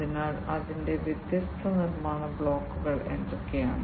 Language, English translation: Malayalam, So, what are the different building blocks of it